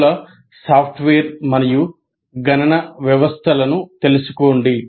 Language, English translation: Telugu, Learn multiple software and computational systems